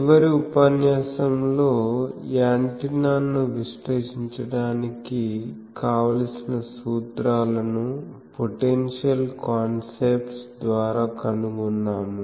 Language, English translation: Telugu, Now in the last lecture, we have found all the formulas required to analyze the antenna by the potential concepts